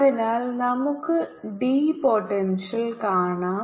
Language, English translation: Malayalam, so this is vector, so we can see the potential d, b